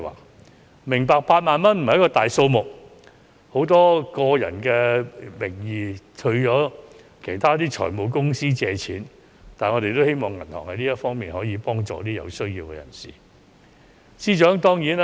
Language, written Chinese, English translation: Cantonese, 我明白8萬元並不是大數目，很多人亦以個人名義向財務公司借貸，但我們希望銀行可以為有需要的人士提供這方面的協助。, I understand that 80,000 is not a large amount and many people may borrow from finance companies in their personal capacity but we hope that the banks can provide assistance to those in need of personal loans . After praises come criticisms